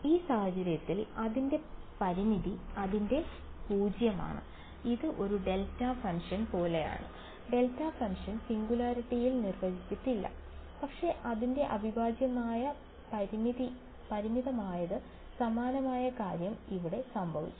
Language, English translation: Malayalam, Its finite in this case its 0 right, it is just like a delta function the delta function is undefined at the singularity, but its integral is finite similar thing has happened over here ok